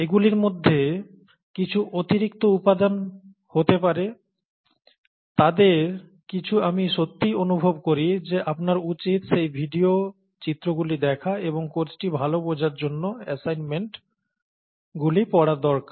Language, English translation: Bengali, Some of those would just be additional material, some of those we really feel, that means I really feel that you should see those videos and those figures and, and go through those reading assignments for a good appreciation of the course